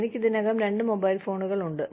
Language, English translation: Malayalam, I already have two cell phones